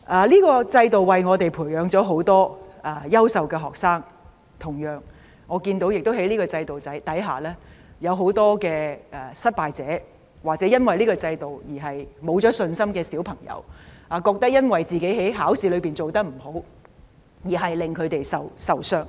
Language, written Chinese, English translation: Cantonese, 這個制度為我們培養很多優秀學生，但在這制度下，也有很多失敗者，或者因為這個制度而失去信心的小朋友，覺得自己在考試中表現不理想，而令他們灰心喪志。, This system has nurtured many outstanding students but it has also produced many unsuccessful students . Some children may have lost confidence under the system as poor examination performances have made them lose heart . President no two people are the same